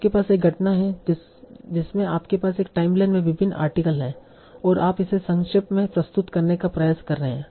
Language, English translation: Hindi, So you have about an event, you have various articles in a timeline, and you're trying to summarize that